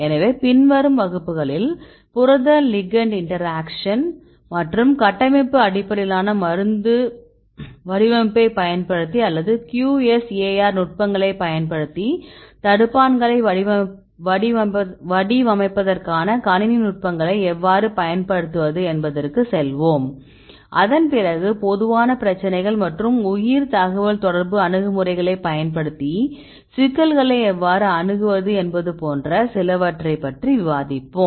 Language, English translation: Tamil, So, in the following classes we will then move on to the protein ligand interaction and how to use our computing techniques for designing the inhibitors using structure based drug design or using the QSAR techniques and so on and after that we will discuss about some of the common problems and how to approach the problems using bioinformatics approaches